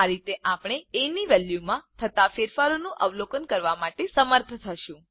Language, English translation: Gujarati, This way we will be able to observe the changes in the value of a